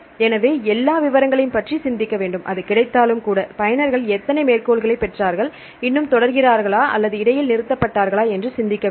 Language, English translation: Tamil, So, you have to think about all the details, even if it is available then you can think who are the users how many citations they got, whether still they are continuing or they stopped in between